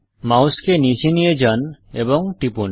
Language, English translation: Bengali, Move the mouse to the bottom and click